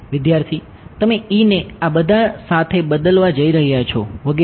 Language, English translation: Gujarati, You are going to replace E with all these etcetera